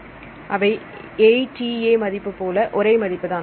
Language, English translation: Tamil, So, what is the value for ATA